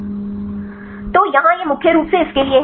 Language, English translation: Hindi, So, here this is this mainly this for the